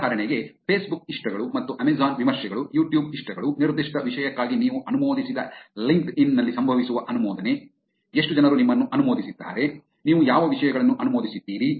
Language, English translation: Kannada, For example, Facebook likes and Amazon reviews, YouTube likes, the endorsement that happens on LinkedIn where you are endorsed for a particular topic, how many people have endorsed you, what topics have you been endorsed